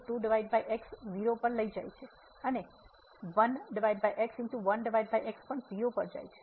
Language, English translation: Gujarati, So, goes to 0 minus this goes to